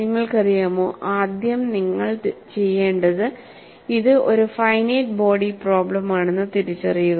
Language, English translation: Malayalam, You know, first of all you have to recognize that this is a finite body problem